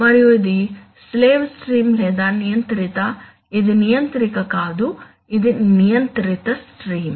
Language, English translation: Telugu, And this is the slave stream or the controlled, this is not controller, this is controlled stream